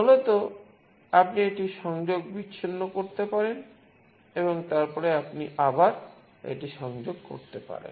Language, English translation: Bengali, Basically you can disconnect it and then again you can connect it